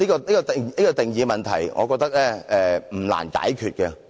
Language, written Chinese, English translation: Cantonese, 對於定義的問題，我認為也不難解決。, On the problem of definition I think it is not difficult to find a solution